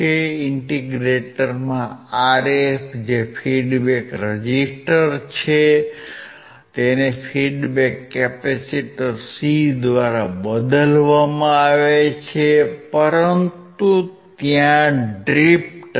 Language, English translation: Gujarati, In the integrator the Rf which is a feedback resistor is replaced by a feedback capacitor C but there is a drift